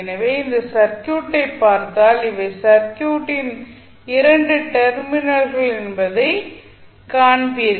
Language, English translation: Tamil, so, if you see this circuit you will see if these are the 2 terminals of the circuit